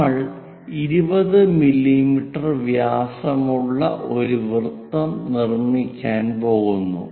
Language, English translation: Malayalam, We are going to construct a radius of 20 mm